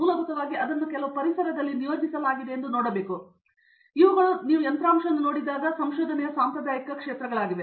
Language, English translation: Kannada, To basically see that it is deployed in some environment, these are traditional areas of research when you look at hardware